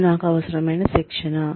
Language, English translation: Telugu, This is the training, I will need